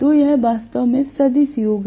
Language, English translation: Hindi, So, this is actually the vectorial sum